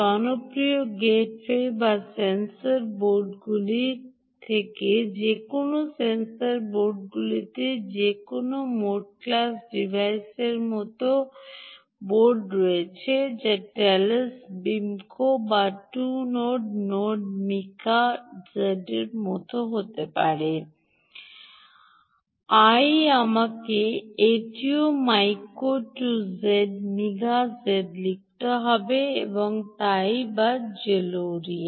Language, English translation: Bengali, you take popular embedded devices like tablets, phones, right, popular gateway boards or any of the sensor boards in the sensor boards, issues like there are boards like the mote class devices which could be like the telos b, mica two nodes or mica z i have to write this also mica, mica two, mica z ah, and so on, or zolertia